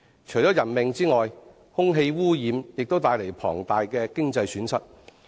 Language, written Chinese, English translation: Cantonese, 除人命外，空氣污染亦帶來龐大的經濟損失。, Human lives aside air pollution also causes enormous economic losses